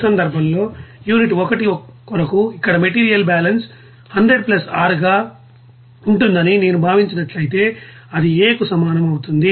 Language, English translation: Telugu, Now in this case if I considered that the material balance here for the unit 1 that will be 100 + R that will be is equal to A